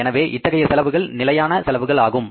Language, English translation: Tamil, So, these are the fixed expenses